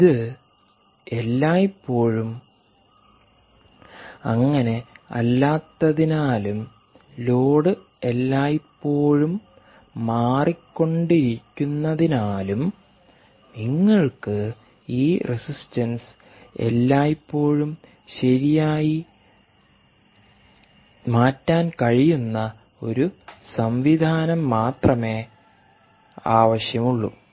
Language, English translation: Malayalam, since this is not always the case and the load continues to be changing all the time, you only need a mechanism where this resistance can also be altered at all times, right